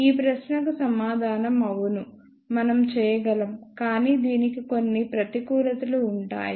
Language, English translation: Telugu, The answer to this question is yes, we can, but it will have some disadvantages